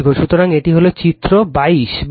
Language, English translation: Bengali, So, this is figure 22 right